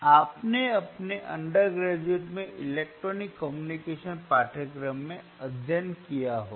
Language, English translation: Hindi, You may have studied in electronic communication course in your undergrad